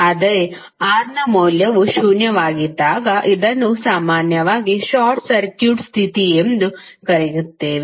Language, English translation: Kannada, So, when the value of R is zero, we generally call it as a short circuit condition